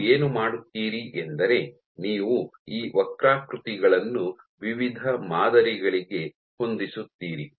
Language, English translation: Kannada, So, what you do is you fit these curves to various models